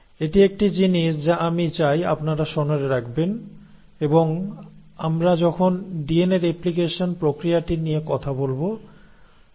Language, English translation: Bengali, So this is one thing that I want you to remember and I will come back to this when we are talking about the mechanism of DNA replication